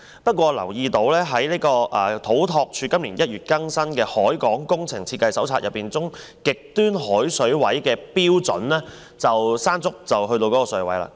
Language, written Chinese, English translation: Cantonese, 不過，我留意到土木工程拓展署今年1月更新的《海港工程設計手冊》中極端海水位的標準，今次颱風"山竹"便已經達到。, However I note that the sea level rise during typhoon Mangkhut this time around had already met the new criteria for extreme sea level as published in CEDDs Port Works Design Manual the Manual which was updated this January